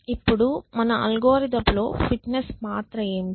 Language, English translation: Telugu, Now, what is the role of fitness in our algorithm